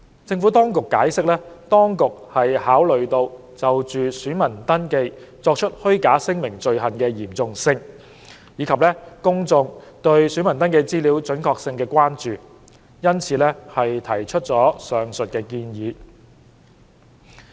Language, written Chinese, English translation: Cantonese, 政府當局解釋，當局考慮到就選民登記作出虛假聲明的罪行的嚴重性，以及公眾對選民登記資料準確性的關注，因此提出了上述建議。, The Administration has explained that the proposal is made taking into account the severity of the offences of making false statements in voter registration and public concerns over the accuracy of registration particulars